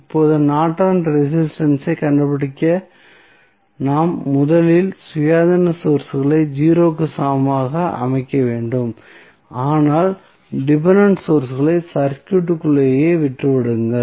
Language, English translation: Tamil, Now, what we have to do to find out the Norton's resistance, we have to first set the independent Sources equal to 0, but leave the dependent sources as it is in the circuit